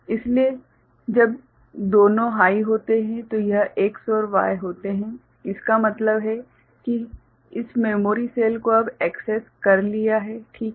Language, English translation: Hindi, So, when both of them are high, this X and Y are high; that means, this memory cell is now accessed ok